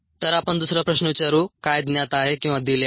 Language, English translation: Marathi, so let us ask the second question: what is known or given